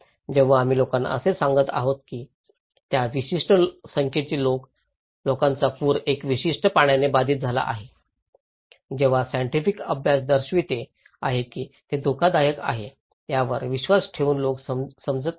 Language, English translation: Marathi, When we are saying to the people that that number of people are affected by particular flood, the scientific studies are showing that people are not perceiving, believing that this is risky